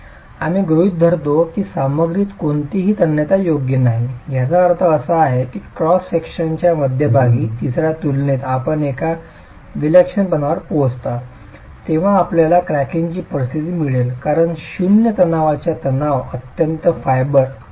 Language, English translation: Marathi, We assume that the material has no tensile strength, which means the moment you reach eccentricity, the moment you reach an eccentricity equal to the middle third of the cross section, you get the conditions for cracking because zero tensile stress has been arrived at the extreme fibre